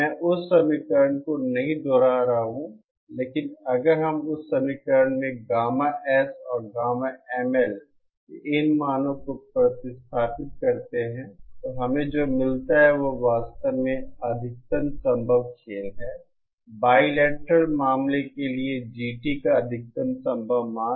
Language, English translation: Hindi, I’m not repeating that equation but if we substitute these values of gamma S and gamma ML in that equation, what we get is actually the maximum possible game, maximum possible value of GT for the bilateral case